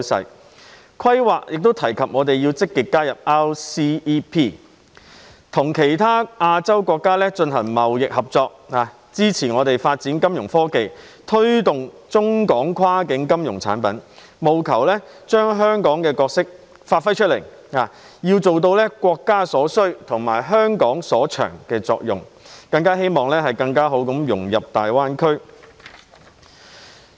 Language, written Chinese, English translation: Cantonese, 《十四五規劃綱要》亦提及我們要積極加入 RCEP， 與其他亞洲國家進行貿易合作，以支持我們發展金融科技、推動中港跨境金融產品，務求將香港的角色發揮出來，要做到國家所需及香港所長的作用，更好地融入大灣區。, The Outline of the 14th Five - Year Plan has also mentioned that we should actively seek accession to the Regional Comprehensive Economic Partnership Agreement for enhancing trade cooperation with other Asian countries so as to support the development of our financial technology and promote cross - boundary financial products between China and Hong Kong with a view to giving full play to Hong Kongs role under the what the country needs what Hong Kong is good at strategy and better integrating into the Greater Bay Area